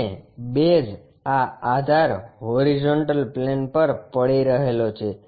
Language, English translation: Gujarati, And, base this base is resting on horizontal plane